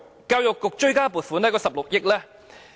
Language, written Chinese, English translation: Cantonese, 教育局追加撥款約16億元。, Its supplementary appropriation amounts to around 1.6 billion